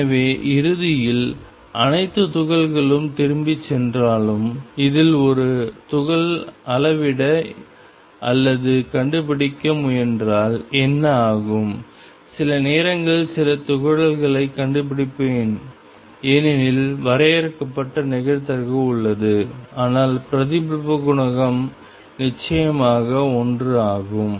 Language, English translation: Tamil, So, although eventually all particles go back what happens is if I measure or try to locate a particle in this and I will find some particles sometimes because there is a finite probability, but the reflection coefficient is certainly one